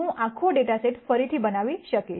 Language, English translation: Gujarati, I will be able to reconstruct the whole data set